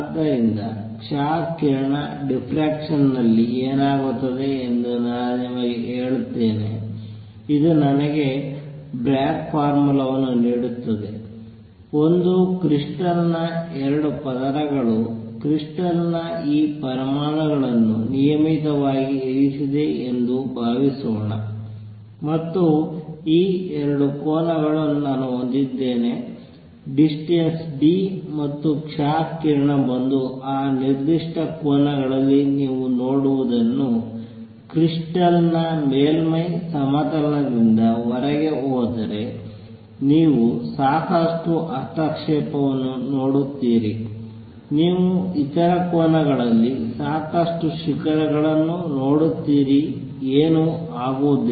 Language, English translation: Kannada, So, let me just tell you what happens in x ray diffraction, this give me the Bragg formula for it, suppose that 2 layers of a crystal, crystal have these atoms which are regularly placed and suppose I have these 2 planes formed by this at a distance d, and if x rays come in and go out what you see at that certain angles theta from the plane of the surface of the crystal, you see lot of interference you see lot of peaks at other angles nothing really happens